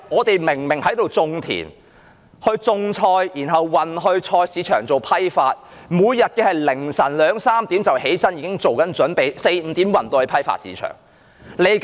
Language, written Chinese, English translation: Cantonese, 他們在那裏耕田、種菜，然後運菜到菜市場做批發，每天凌晨2時、3時便起床作準備 ，4 時、5時便運菜到批發市場。, They will do farming there grow vegetables and transport them to the vegetable market for wholesaling . They get up at 2col00 am or 3col00 am every day and transport the vegetables to the wholesale market at 4col00 am or 5col00 am